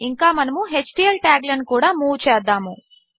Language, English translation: Telugu, We are also going to move html tags